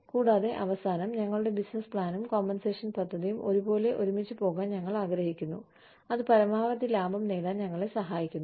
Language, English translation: Malayalam, And, at the end, we want, our, the business plan and compensation plan, tied together in a manner, that it helps us achieve, the maximum amount of profit